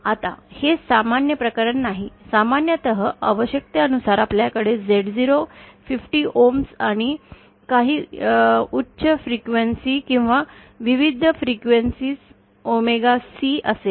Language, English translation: Marathi, Now, this is not the usual case, usually you will have Z0 as 50 ohms and omega C at some high frequency or various frequencies according to the requirement